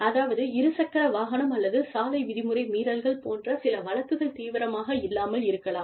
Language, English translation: Tamil, Some cases like, motor vehicle or road violations, may not be, that serious